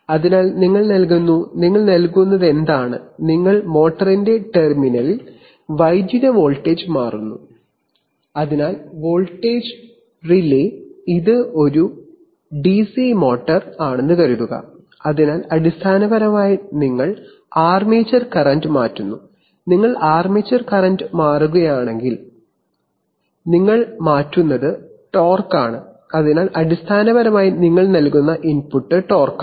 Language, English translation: Malayalam, So you give, what you give, you give, you change the electrical voltage at the terminal of the motor, so the voltage relay, suppose it is a DC motor, so basically you change the armature current, if you change the armature current then what you change is torque, so basically the input that you are giving is torque